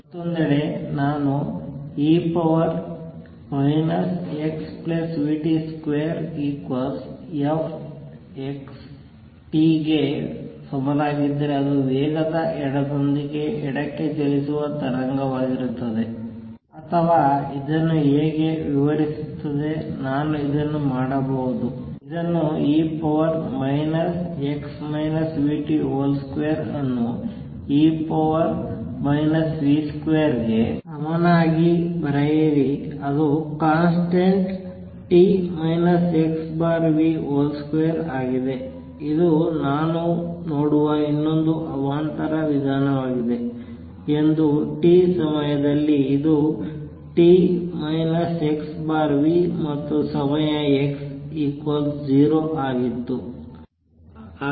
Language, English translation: Kannada, If on the other hand, if I had e raise to minus x plus v t square is equal to f x t it will be a wave which will be traveling to the left with speed v or this is how describes it, I could also write this as thus e raise to minus x minus v t square as equal to e raise to minus v square which becomes a constant t minus x over v whole square which is another way of looking at it that this is a disturbance that I am seeing at time t, this is what it was t minus x over v time at x equals to 0